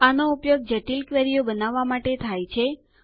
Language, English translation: Gujarati, This is used to create complex queries